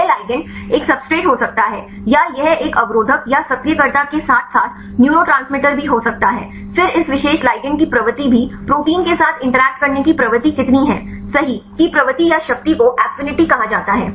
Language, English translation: Hindi, This ligand can be a substrates or this can be a inhibitors or activators as well as neurotransmitters, then how strong are also tendency of this specific ligand to interact with the protein right that tendency or the strength is called the affinity